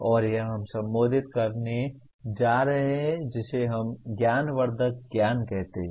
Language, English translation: Hindi, And this we are going to address what we call metacognitive knowledge